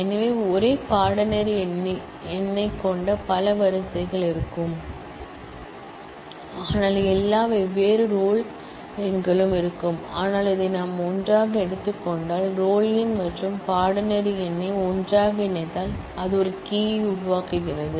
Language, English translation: Tamil, So, there will be multiple rows having the same course number, but all different roll numbers, but if we take this together, roll number and course number together then that forms a key